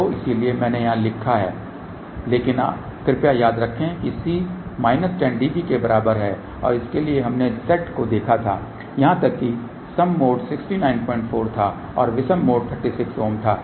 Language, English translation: Hindi, So, that is why i wrote there , but please remember C is equal to minus 10 db and for that we had seen Z even mode was 16 9